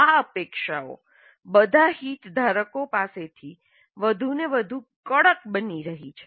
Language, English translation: Gujarati, These expectations are becoming more and more strident from all the stakeholders